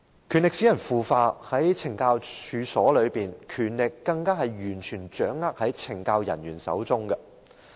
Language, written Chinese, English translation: Cantonese, 權力使人腐化，在懲教處所內，權力更加完全掌握在懲教人員手中。, Power corrupts and in correctional institutions CSD officers are even vested with total power